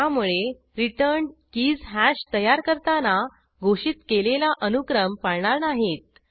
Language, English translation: Marathi, So, keys returned will not be in the sequence defined at the time of creating hash